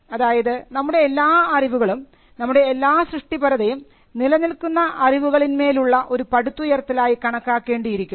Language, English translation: Malayalam, So, all of knowledge or all of creativity can be regarded as building on existing knowledge